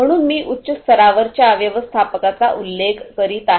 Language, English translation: Marathi, So, manager at a high level I am mentioning